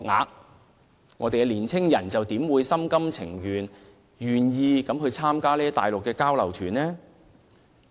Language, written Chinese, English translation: Cantonese, 有見及此，本港的年輕人又怎會心甘情願參加這些內地交流團？, Why would the young people in Hong Kong will be heartily willing to take part in those Mainland exchange tours in view of these facts?